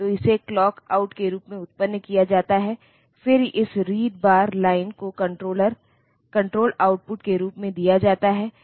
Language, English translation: Hindi, So, that is generated as clock out, then this read bar line; so read bar line is given as control output